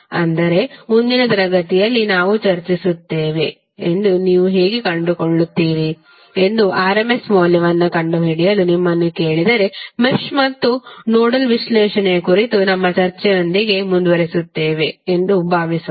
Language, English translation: Kannada, But suppose if you are asked to find out the RMS value how you will find that we will discuss in the next class and then we will continue with our discussion on Mesh and Nodal analysis